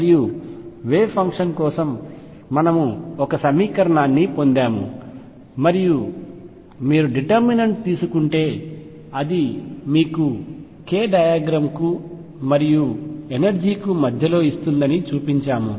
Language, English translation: Telugu, And we derived an equation for the wave function and showed that if you take the determinant it gives you the energy versus k diagram